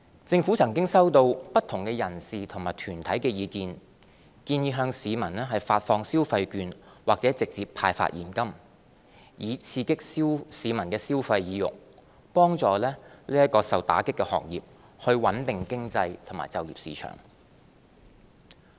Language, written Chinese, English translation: Cantonese, 政府曾收到不同人士及團體的意見，建議向市民發放消費券或直接派發現金，以刺激市民消費意欲，幫助受打擊行業，穩定經濟和就業市場。, The Government has received views from individuals and organizations proposing the handing out of consumption vouchers or more directly cash to citizens to boost consumption help the affected trades and industries as well as stabilize the economy and the employment market